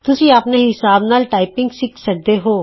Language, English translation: Punjabi, You can learn typing at your own pace